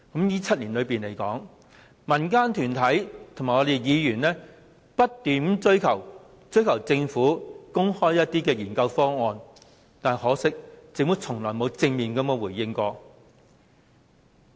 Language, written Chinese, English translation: Cantonese, 在這7年間，民間團體和議員不斷要求政府公開研究方案，但很可惜，政府從沒有正面回應。, During the 7 - year period civil organizations and Members have been calling the Government to publicize the options being studied . Unfortunately the Government has never made any direct response . Time flies